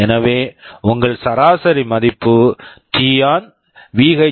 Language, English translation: Tamil, So, your average value will be only t on